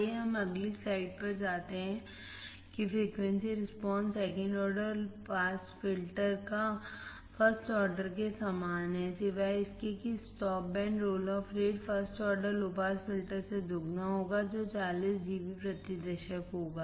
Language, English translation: Hindi, Let us go to the next slide that is that the frequency response second order pass filter is identical to that of first order except that the stop band roll off rate will be twice of the first order low pass filter, which is 40 dB per decade